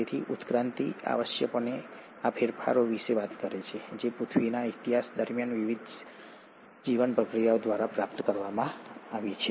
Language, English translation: Gujarati, So, evolution essentially talks about these changes which have been acquired by various life processes over the course of earth’s history